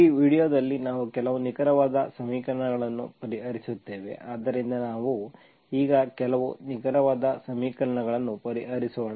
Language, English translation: Kannada, In this video we will solve some exact equations, so let us solve some exact equations now